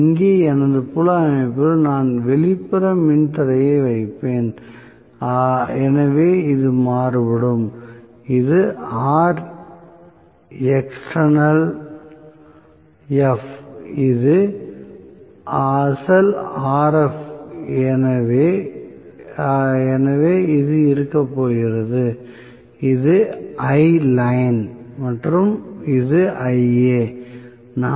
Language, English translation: Tamil, Here is my field system I will put on external resistance and I would vary that so this is Rexternalf this is original Rf so this is going to be If and this is Iline and this is Ia